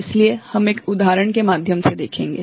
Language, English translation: Hindi, So, that we shall see through an example